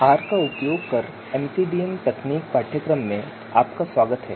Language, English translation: Hindi, Welcome to the course MCDM Techniques using R